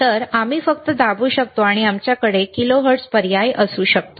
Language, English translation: Marathi, So, we can just press and we can have kilohertz option